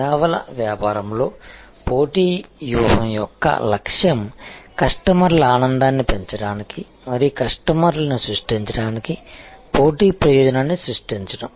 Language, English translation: Telugu, So, this is a statement that the objective of a competitive strategy in services business is to generate a competitive advantage to enhance customers delight and create customer advocacy